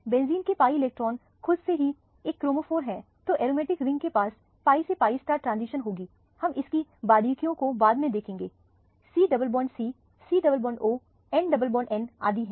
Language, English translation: Hindi, The pi electrons are benzene is a chromophore by themselves, so the aromatic ring has pi to pi star transition, we will see details of this little later, c double bond c c double bond o n double bond n so on